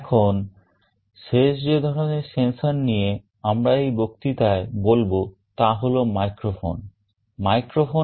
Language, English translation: Bengali, Now, the last kind of sensor that we shall be talking about in this lecture is a microphone